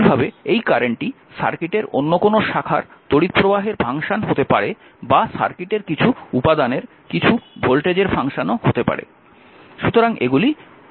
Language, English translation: Bengali, Similarly, this current is may be the function of some other branch current in the circuit or may be function of some voltage across the, your circuit